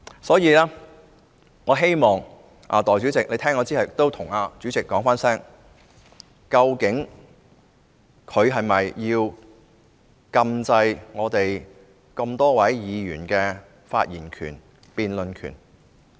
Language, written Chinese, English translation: Cantonese, 所以，我希望代理主席聽完我的發言後，代我詢問主席，究竟他是否要禁制我們這麼多議員的發言權、辯論權？, Thus I hope after the Deputy President has listened to my speech she would ask the President on my behalf whether he intends to restrain the rights to speak and debate of so many Members